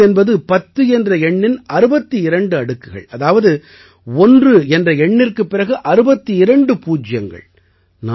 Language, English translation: Tamil, There is a Mahogha 10 to the power of 62, that is, 62 zeros next to one